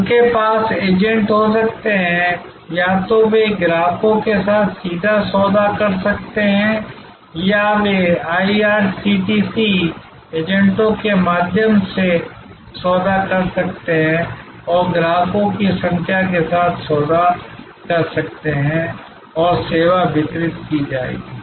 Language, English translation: Hindi, They can have agents, either they can deal directly with customers or they can deal through IRCTC agents and deal with number of customers and the service will be delivered